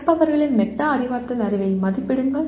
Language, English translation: Tamil, Assess metacognitive knowledge of the learners